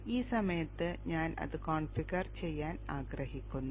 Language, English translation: Malayalam, At this point I would like to configure it